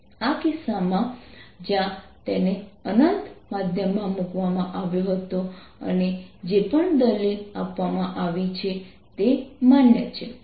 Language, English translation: Gujarati, in this pay particular case, where it was put in an infinite medium, whatever arguments we were given are valid